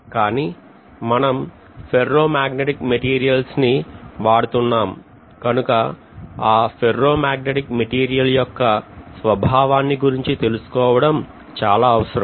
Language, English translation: Telugu, But because we are using ferromagnetic material it is very essential to know about the behavior of ferromagnetic materials; so, which we call as basically magnetic circuit